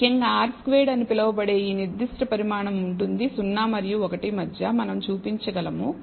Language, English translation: Telugu, So, essentially this particular quantity called r squared will be between 0 and 1 we can show